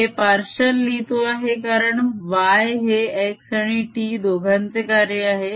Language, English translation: Marathi, i am writing partial because y is a function of x and t both